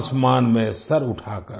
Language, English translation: Hindi, holding the head sky high